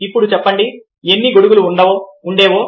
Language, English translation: Telugu, now you tell me how many umbrellas were there